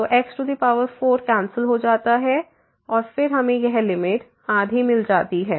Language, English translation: Hindi, So, 4 get cancel and then we get this limit half